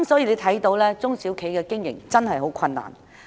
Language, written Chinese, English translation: Cantonese, 因此，中小企的經營真的十分困難。, Therefore it is really very difficult for SMEs to run their business